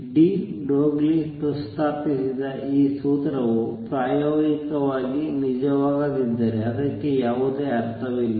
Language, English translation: Kannada, If this formula that de Broglie proposed was not true experimentally, it would have no meaning